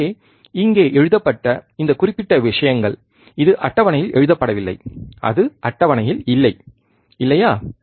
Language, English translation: Tamil, So, this is this particular things here which is written, it this is not written in the table, it is not in the table, right